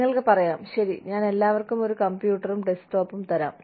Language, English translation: Malayalam, You can say, okay, I will give everybody, a computer, a desktop